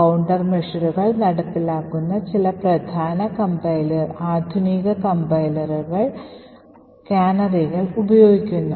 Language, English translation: Malayalam, And other countermeasure that is implemented by some of the modern day compilers is by the use of canaries